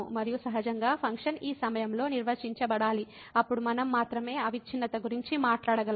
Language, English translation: Telugu, And naturally the function must be defined at this point, then only we can talk about the continuity